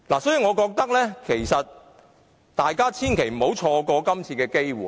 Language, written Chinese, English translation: Cantonese, 所以，我認為大家千萬不要錯過這次機會。, I therefore consider that we should in no way miss this chance today